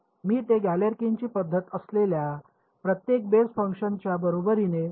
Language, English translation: Marathi, I choose it to be equal to each of the basis functions that is Galerkin’s method ok